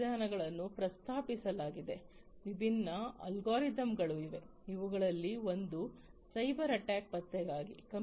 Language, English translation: Kannada, So, different method methodologies have been proposed, different algorithms are there, one of which is for cyber attack detection